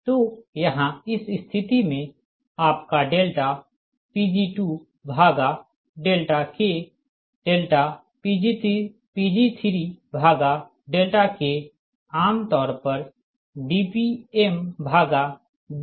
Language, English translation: Hindi, so here we are replacing this one, d pg two upon d delta k, by d p two upon d delta k, d p three upon d delta k